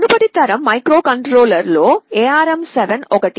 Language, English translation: Telugu, ARM7 was one of the previous generation microcontrollers